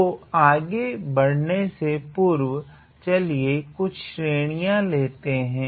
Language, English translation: Hindi, So, before I go ahead, let us consider some sequence